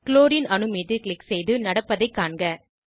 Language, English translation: Tamil, Click on Chlorine atom and observe what happens